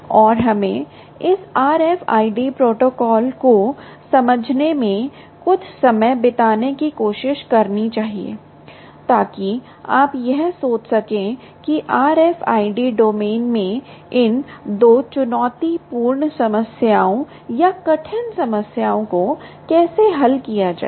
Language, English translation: Hindi, ok, and let us spend some time understanding ah, this r f i d protocol ah with with view of trying to give you an idea of how to solve these two ah challenging problems or hard problems in the r f i d domain